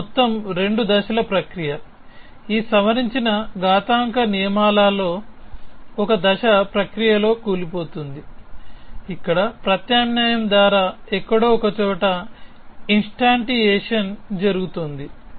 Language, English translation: Telugu, So, this whole 2 step process is collapse into one step process in this modified exponents rules where, thus instantiation is taking place somewhere inside by means of a substitution